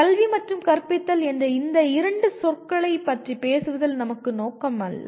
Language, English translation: Tamil, That is not our intention in talking about these two words education and teaching